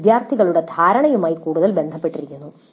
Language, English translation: Malayalam, This is more to do with the perception of the students